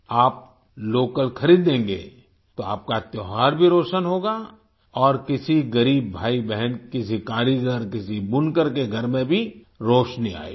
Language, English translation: Hindi, If you buy local, then your festival will also be illuminated and the house of a poor brother or sister, an artisan, or a weaver will also be lit up